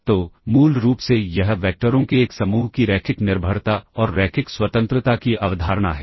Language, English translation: Hindi, So, basically this is the concept of linear dependence and linear independence of a set of vectors